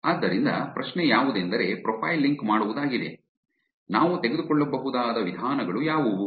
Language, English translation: Kannada, So the question about profile linking, what are the approaches that we can take